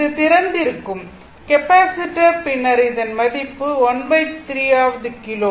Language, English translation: Tamil, This is open capacitor is open and then your 1 3rd kilo ohm right